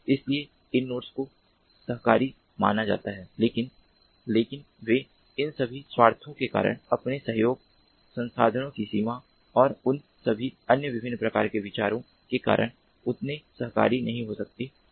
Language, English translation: Hindi, so these nodes are supposed to be cooperative, but but they may not be as much cooperative because of all these selfish interests, you know, resource limitations and all these different other types of considerations